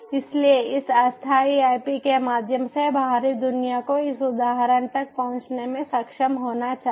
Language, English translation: Hindi, so through this floating ip, outside world should be able to access this instance